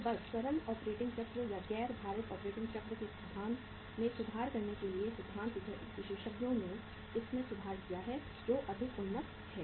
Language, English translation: Hindi, So just to make improvement over the simple or the non weighted operating cycle uh in in the theory experts have dwelt the operating cycle which is far more improved